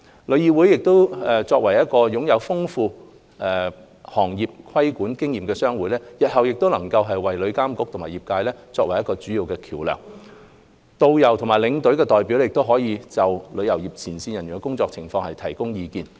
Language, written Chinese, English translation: Cantonese, 旅議會作為擁有豐富行業規管經驗的商會，日後能作為旅監局與業界的主要溝通橋樑，導遊或領隊代表亦可就旅遊業前線人員的工作情況提供意見。, TIC being a trade association experienced in practising trade regulation can continue to act as a key bridge of communication between TIA and the trade while the representatives of tourist guides and tour escorts can give views on the work conditions of frontline trade practitioners